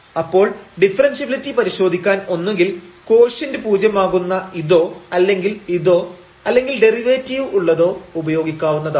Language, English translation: Malayalam, So, we can use either this one to test the differentiability that this quotient must be 0 or we can use this one or we can use the derivative one